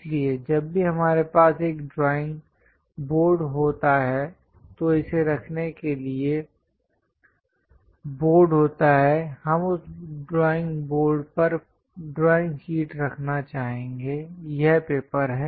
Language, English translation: Hindi, So, whenever we have a drawing board, to hold this is the board ; we will like to hold the drawing sheet on that drawing board, this is the paper